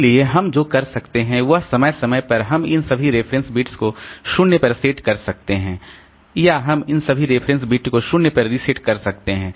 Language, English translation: Hindi, So, what we can possibly do is periodically we can set all this reference bits to 0 or we can reset all this reference bits to 0